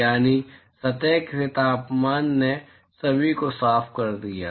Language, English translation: Hindi, So, that is the temperature of the surface cleared everyone